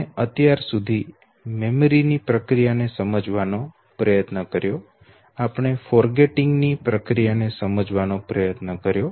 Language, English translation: Gujarati, So what have we discussed till now, we have tried to understand the process of memory we have tried to succinctly no understand the process of forgetting